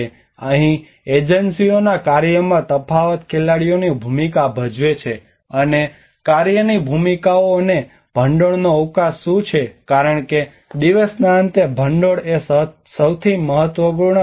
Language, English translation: Gujarati, Here the differences in function of agencies plays players involved and what is the scope of work roles and funding, because at the end of the day, funding is the most important part